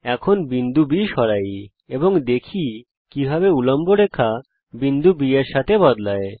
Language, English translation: Bengali, Lets Move the point B, and see how the perpendicular line moves along with point B